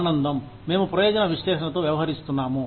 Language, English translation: Telugu, Pleasure, we are dealing with utilitarian analysis